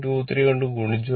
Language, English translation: Malayalam, 23 and multiply